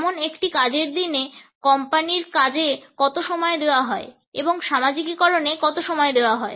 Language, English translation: Bengali, For example how much time is given during a work day to the company tasks and how much time is given to socializing